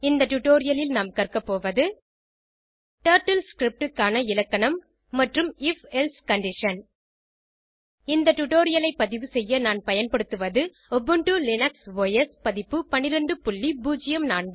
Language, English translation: Tamil, In this tutorial, we will learn about Grammar of Turtle script and if else condition To record this tutorial I am using, Ubuntu Linux OS version